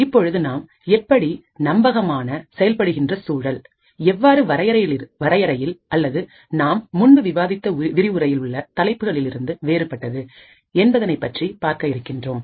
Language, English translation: Tamil, So, we will start off with how Trusted Execution Environment is different from confinement or the topics that we have studied in the previous lectures